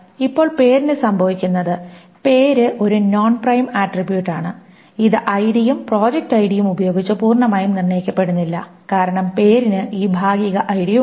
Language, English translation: Malayalam, Now what happens for name is name is a non prime attribute and it is not determined fully by ID and project ID because there is this partial ID to name